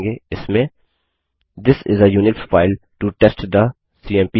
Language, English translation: Hindi, It will contain the text This is a Unix file to test the cmp command